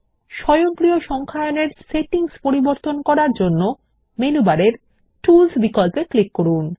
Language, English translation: Bengali, To change the settings for automatic numbering, click on the Tools option in the menu bar And then click on Footnotes/Endnotes